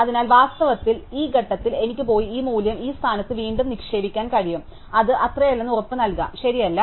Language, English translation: Malayalam, So, therefore, I can, in fact, at this point go and put this value back into the heap at this position and be sure it is not touched, right